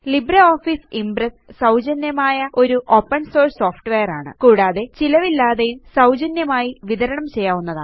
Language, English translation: Malayalam, LibreOffice Impress is free, Open Source software, free of cost and free to use and distribute